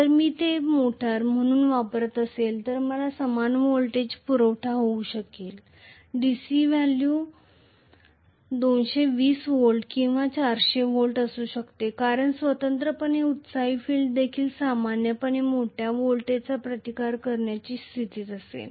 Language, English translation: Marathi, If I am using it as a motor I might have the same voltage supply, may be to 220 volts or 400 volts the DC value is fixed because of which the separately excited field will also be in a position to withstand a large voltage normally